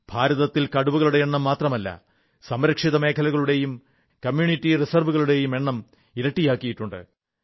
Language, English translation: Malayalam, Not only the tiger population in India was doubled, but the number of protected areas and community reserves has also increased